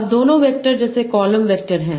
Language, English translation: Hindi, will also be as a column vector